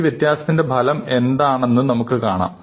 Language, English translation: Malayalam, So, can we see what the effect of this change is